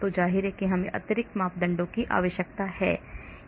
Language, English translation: Hindi, so obviously we need extra parameters